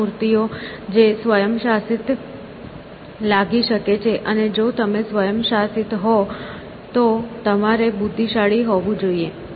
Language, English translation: Gujarati, This statues which could seem to be autonomous; and, if you are autonomous you must be intelligent essentially